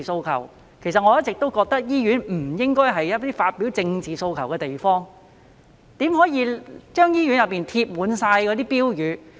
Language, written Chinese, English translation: Cantonese, 其實我一直認為醫院不應該是發表政治訴求的地方，怎能在醫院內張貼那些標語呢？, In fact I always believe that hospitals should not be used as a venue for expressing political demands . How could they display those slogans in hospitals?